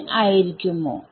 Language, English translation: Malayalam, Should it be n